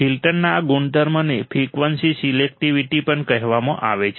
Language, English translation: Gujarati, This property of filter is also called frequency selectivity